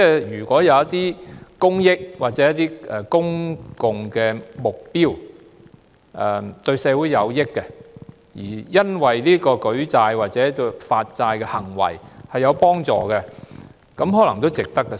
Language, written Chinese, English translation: Cantonese, 如果為着一些公益或公共目標，對社會有益，而舉債或發債有助實踐，這可能也值得發債。, If it is for the public good or public objectives beneficial to society and raising loans or issuing bonds can help realize such purposes it may be worthwhile to do so